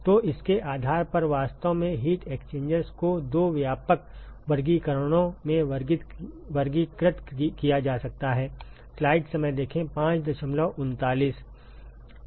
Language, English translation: Hindi, So, based on this one can actually classify heat exchangers into two broad classifications